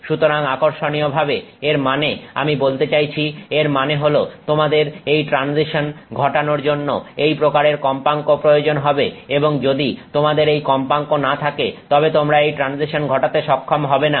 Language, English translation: Bengali, So, interestingly this, I mean, so it means that you need to have this kind of frequency to enable this transition and if you don't have this frequency you will not enable this transition